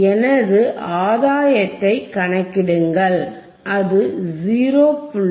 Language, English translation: Tamil, Iif I calculate my gain my gain, it is 0